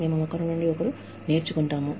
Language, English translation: Telugu, We learn, from each other